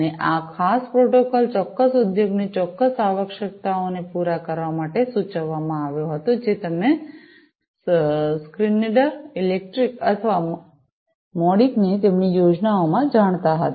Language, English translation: Gujarati, And, this particular protocol was proposed to cater to certain industry specific requirements that Schneider Electric or Modicon had you know in their plans